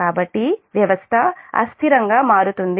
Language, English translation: Telugu, so system will become unstable